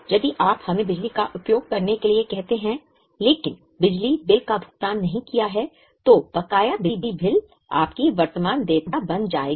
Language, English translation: Hindi, Or if we use, let us say electricity but have not paid the electricity bill, then the outstanding electricity bill will become your current liability